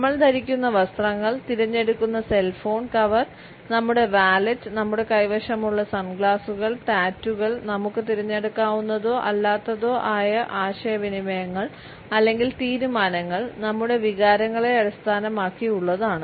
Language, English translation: Malayalam, The clothes we wear, the cell phone cover we choose, the wallet which we carry, the sunglasses which we have, the tattoos which we may or may not have communicate our choices as well as decisions which in turn are based on our feelings and emotions